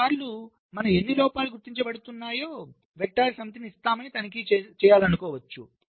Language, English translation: Telugu, sometimes we may want to check that will, given a set of vectors, how many faults are getting detected